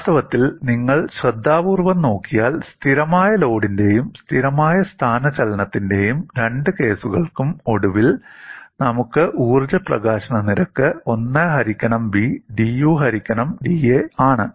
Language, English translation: Malayalam, In fact, if you have looked at carefully, for both the cases of constant load and constant displacement, we finally got the energy release rate as 1 by B dU divided by da